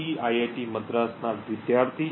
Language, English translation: Gujarati, student at IIT Madras